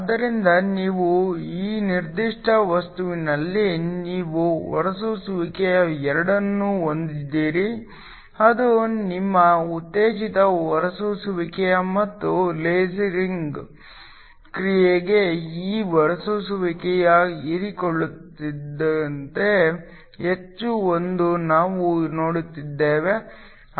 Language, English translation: Kannada, So, in this particular material you have both emission, which is your stimulated emission and we saw that for lasing action this emission much be more than the absorption